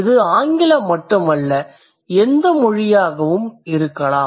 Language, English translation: Tamil, And this language could be any language, it's just not English